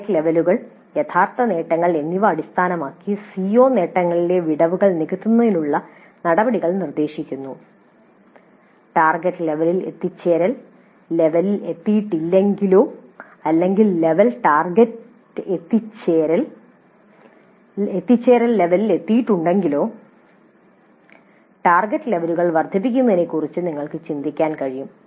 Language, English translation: Malayalam, Then based on the target levels and the actual attainment levels proposing actions to the bridge the gaps in the CO attainments in case the attainment level has not reached the target levels or if the attainment levels have reached the target levels we could think of enhancing the target levels